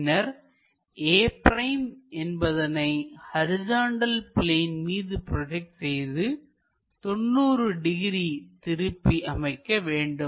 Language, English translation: Tamil, So, this point has to be projected onto horizontal plane and rotate it by 90 degrees